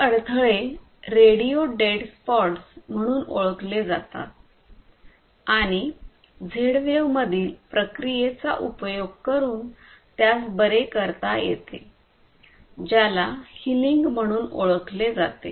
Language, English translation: Marathi, And these obstructions are known as radio dead spots, and these can be bypassed using a process in Z wave which is known as healing